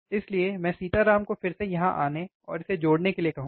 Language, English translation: Hindi, So, I will ask again Sitaram to come here and connect it